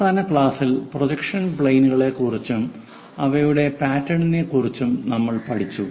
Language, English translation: Malayalam, In the last class, we learned about projection planes and their pattern